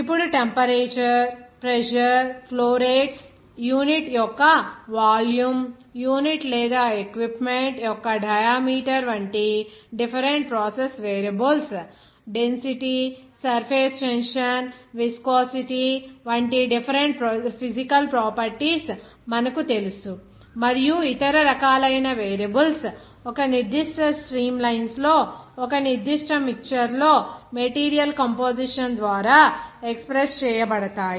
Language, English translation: Telugu, Now, as we know that different process variables like temperature, pressure, flow rates, even volume of unit, even that diameter of the unit or equipment, even different physical properties like density, surface tension, even you know viscosity, and other different types of variables like that is expressed by composition of the materials in a particular mixture in a particular streamlines